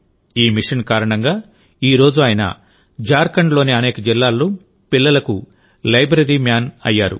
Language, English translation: Telugu, Because of this mission, today he has become the 'Library Man' for children in many districts of Jharkhand